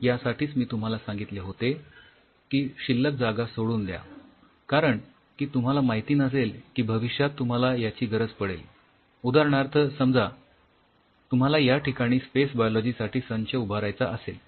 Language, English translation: Marathi, So, that is why I told you that leave space you do not know where you may be needing things or say for example, you may need to say for example, you have a space biology setup out here